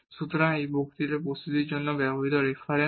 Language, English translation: Bengali, So, these are the references used for the preparation of this lecture